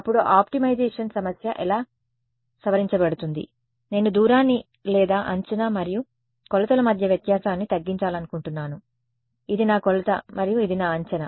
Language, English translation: Telugu, Then this optimization problem gets modified like this that not only do I want to minimize the distance or the difference between prediction and measurement right, this is my measurement and this is my prediction